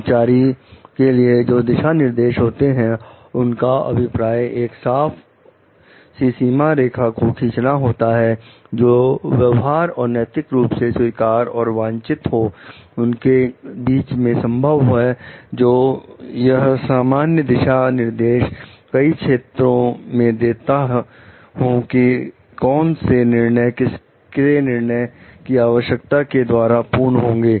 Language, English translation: Hindi, The employee guidelines are, is intended to draw as a clear boundary which is possible between behavior and ethically acceptable and desirable, and which is not and to give general guidance in many of the areas, which were discretion in where discretion needs to be exercised